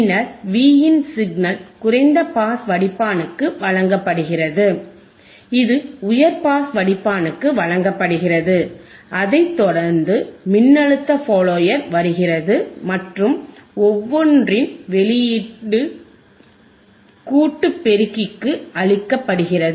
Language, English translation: Tamil, And then the signal Vin is provided the signal Vin is provided to low pass filter, it is provided to high pass filter, followed by voltage follower and the output of each is fed output here you have see this output is fed output is fed to the summing amplifier right